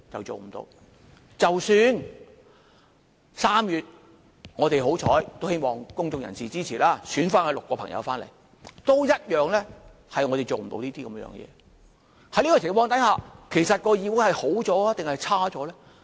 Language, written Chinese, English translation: Cantonese, 即使3月我們幸運——希望公眾人士支持——選出6位民主派議員返回議會，我們一樣也做不到這件事。, Even if we are lucky enough in March―hopefully the public will support us―when pro - democracy Members take the six vacant seats of the Legislative Council we are still outnumbered and therefore unable to do that